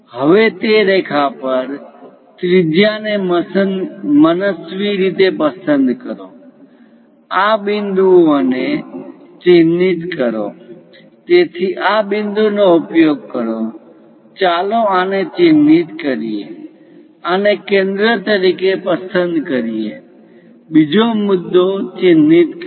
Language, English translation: Gujarati, Now on that line, pick radius an arbitrary one; mark these points, so use this point; let us mark this one, pick this one as centre; mark second point